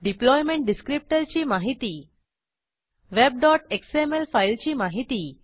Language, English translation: Marathi, The deployment descriptor is a file named web.xml